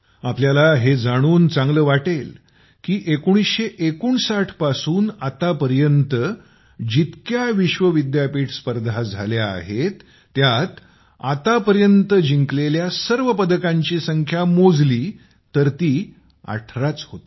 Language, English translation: Marathi, You will be pleased to know that even if we add all the medals won in all the World University Games that have been held since 1959, this number reaches only 18